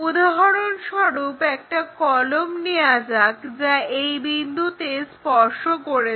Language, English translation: Bengali, For example, let us take a pen and that is going to touch this point